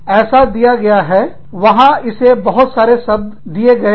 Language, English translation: Hindi, It is given, there are lot of words, given to it